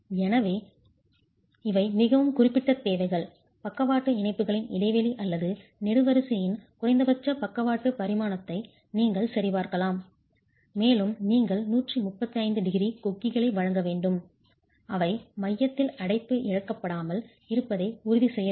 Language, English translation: Tamil, So, there are very specific requirements that you can check as far as the spacing of the lateral ties or the least lateral dimension of the column and you are required to provide 135 degree hooks which are required to ensure that confinement is not lost to the core concrete before the yield capacity of the steel reinforcement is reached